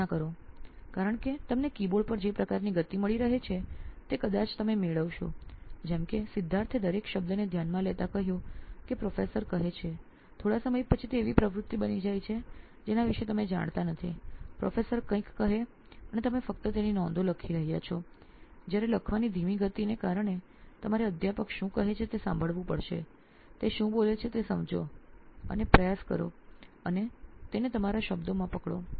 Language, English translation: Gujarati, Imagine because you are getting the kind of speed that you are getting on a keyboard you would probably end up like Siddharth mentioned taking in every word that the professor says, after a while it becomes an activity that you are not even aware of, the professor saying something and you are just typing his notes off, whereas because of the inbuilt slow pace of writing you have to listen to what the professor says, understand what he is saying and try and capture it in your own words